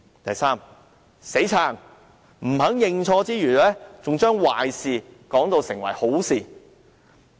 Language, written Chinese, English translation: Cantonese, 第三，"死撐"，不肯認錯之餘，還把壞事說成好事。, Thirdly he adamantly refused to admit his wrongdoing and even defended himself by calling wrong right